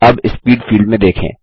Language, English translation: Hindi, Look at the Speed field now